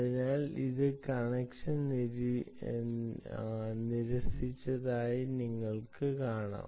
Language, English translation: Malayalam, right, so you can see that it has refused the connection